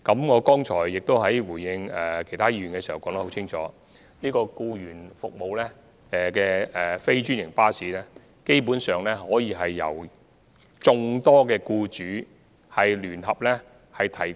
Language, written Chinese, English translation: Cantonese, 我剛才答覆其他議員時亦已清楚說明，提供僱員服務的非專營巴士基本上可以由眾多僱主聯合安排。, As I have also explained clearly in my earlier replies to other Members questions employees services basically can be provided through non - franchised buses under the joint arrangement of various employers